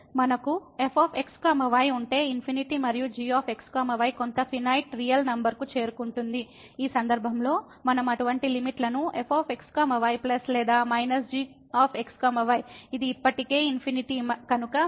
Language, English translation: Telugu, If we have as is going to infinity and is approaching to some finite real number, in this case we can evaluate such limits plus or minus , since this is infinity already and then we have here is equal to